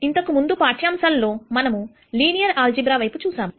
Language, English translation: Telugu, In the previous lectures we looked at linear algebra